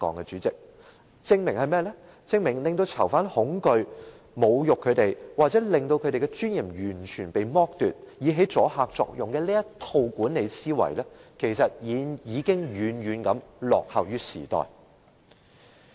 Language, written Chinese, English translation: Cantonese, 主席，這證明使囚犯恐懼、侮辱他們，或完全剝奪他們的尊嚴，以起阻嚇作用的這套管理思維，其實已經遠遠落後於時代了。, President this shows that the management mindset of achieving deterrence by means of breeding fear in prisoners insulting them or totally ripping them of their dignity actually lags far behind the times